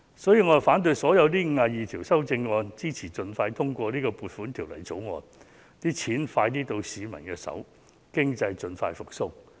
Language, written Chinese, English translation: Cantonese, 因此，我反對所有52項修正案，支持盡快通過《2020年撥款條例草案》，盡快把公帑交到市民手上，讓經濟盡快復蘇。, Therefore I oppose all the 52 amendments and support the expeditious passage of the Appropriation Bill 2020 to speed up the handing out of public money to the people so as to boost the economic recovery